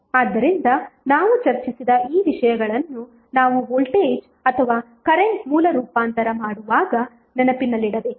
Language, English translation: Kannada, So these things which we have discuss we should keep in mind while we do the voltage or current source transformation